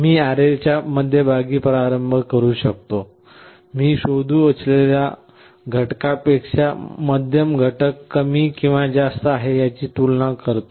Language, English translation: Marathi, I can start with the middle of the array; I compare whether the middle element is less than or greater than the element I want to search